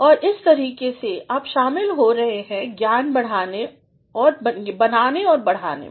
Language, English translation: Hindi, And, that way you are adding to knowledge creation and extension